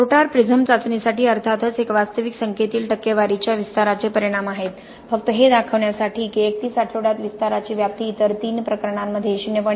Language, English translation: Marathi, For mortar prism test of course these are the just the results of percentage expansions in the actual numbers just to show that at 31 weeks the extent of expansion is less than 0